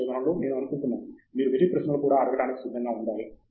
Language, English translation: Telugu, I think in research, you have to be prepared to ask even silly questions